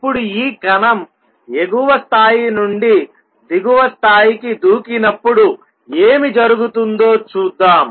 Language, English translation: Telugu, Now, let us see what happens when this particle makes a jump from an upper level to a lower level